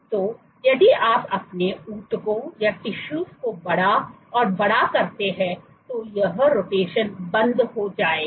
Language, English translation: Hindi, So, if you make your tissues bigger and bigger then this rotation will stop